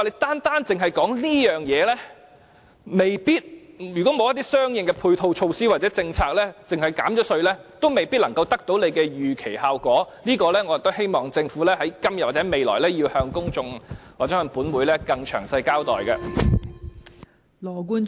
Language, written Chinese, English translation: Cantonese, 單單只說這方面，如果沒有一些相應的配套措套或政策而只憑減稅，未必能夠得到當局預期的效果，我希望政府今天或未來，要向公眾或本會更詳細的交代這方面。, If we focus only on providing tax concession but not other measures to dovetail with the development of that business we might not get the result as desired by the authorities . I hope that the Government can give the public or this Council more detailed explanation in this regard either today or tomorrow